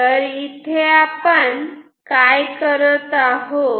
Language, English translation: Marathi, So, now, what we can do